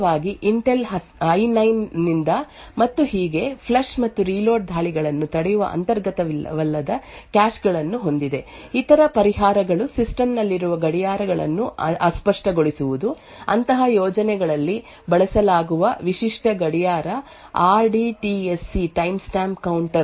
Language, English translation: Kannada, So modern Intel machine especially from Intel I9 and so on have non inclusive caches which can prevent the flush and reload attacks, other solutions are by fuzzing clocks present in the system, typical clock that is used in such schemes the RDTSC timestamp counter